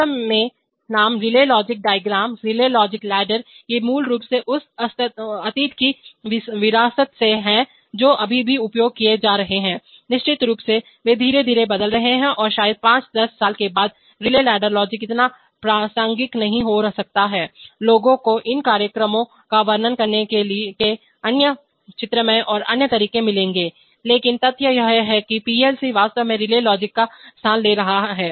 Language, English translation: Hindi, In fact the name relay logic diagram, relay logic ladder, these are basically legacies of that past which are still being still being used, of course, they are gradually getting changed and probably after 5 10 years relay ladder logic may not be so relevant, people will find other graphical and other ways of describing these programs, but the fact that PLC is have actually as they started to replace the relay logic